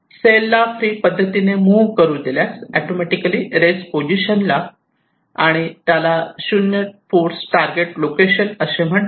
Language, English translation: Marathi, so if we allow the cell i to move freely, it will automatically come and rest in its final so called zero force target location